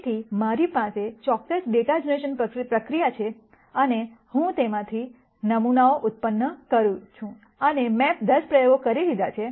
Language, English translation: Gujarati, So, I have certain data generation process and I am generating samples from that and I have done let us say 10 experiments